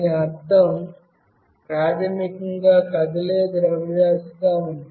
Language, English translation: Telugu, What it means basically is there is a moving mass